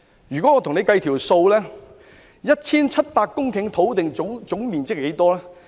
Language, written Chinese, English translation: Cantonese, 讓我與大家計算一下 ，1,700 公頃土地的總面積即是多少？, Let me do some arithmetic with Members . How large is the total area of 1 700 hectares?